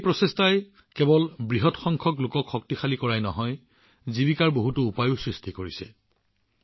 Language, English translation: Assamese, This effort has not only empowered a large number of people, but has also created many means of livelihood